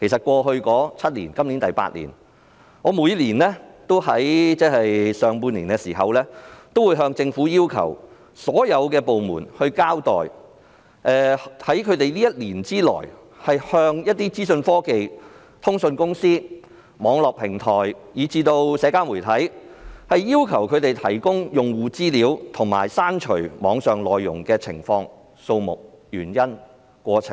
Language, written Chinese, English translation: Cantonese, 過去數年，我都在每年上半年要求所有政府部門交代，前1年要求資訊科技、通訊公司、網絡平台及社交媒體提供用戶資料和刪除網上內容的情況、次數、原因和過程。, In the first six months of each of the past few years I asked all government departments to account for the details number of requests reasons for making the requests and the course of events relating to the requests made by the Government to information and communication technology companies network platforms and social media for disclosure and removal of information in the preceding year